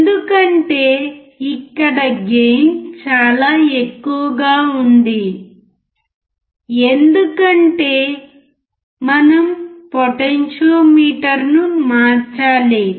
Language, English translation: Telugu, Because, here the gain is extremely high because we have to change the potentiometer